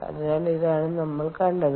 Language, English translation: Malayalam, so this is what we saw, all right